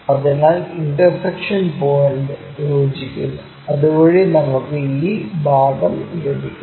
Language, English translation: Malayalam, So, intersection point join, so that we will have this part